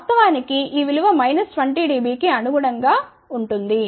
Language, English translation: Telugu, In fact, this value corresponds to which is minus 20 dB